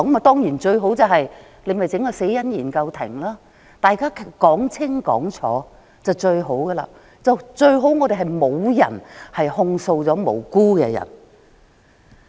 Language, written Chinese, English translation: Cantonese, 當然，成立一個死因研究庭讓大家說清楚，沒有無辜的人被控訴是最好的。, Surely it would be the best if a coroners court can be formed to allow everyone to have a clear representation so that no innocent will be accused